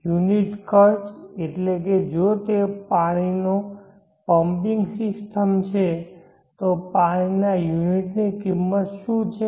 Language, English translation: Gujarati, Meaning that if it is water pumping system, what is the cost of the unit of the water